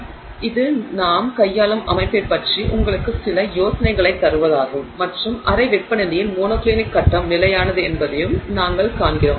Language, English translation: Tamil, So, that's just to give you some idea of the system that we are dealing with and what we see is that at room temperature the monoclinic phase is stable